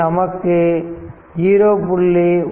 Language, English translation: Tamil, So, here 0